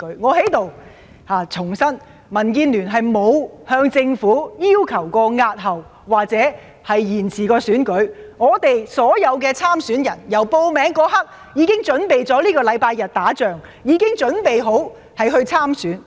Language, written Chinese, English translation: Cantonese, 我在此重申，民建聯沒有向政府要求過押後或延遲選舉，我們所有的參選人由報名那一刻開始，已準備在本周日打這場仗，已準備好參選工作。, I reiterate here that the Democratic Alliance for the Betterment and Progress of Hong Kong DAB has not asked the Government to postpone or defer the election . All of our candidates are prepared to fight this battle since the day the nomination period commenced . They are ready for the election campaigns